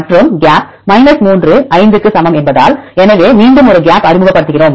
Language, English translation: Tamil, And because the gap 3 that is equal to 5; so again we introduce a gap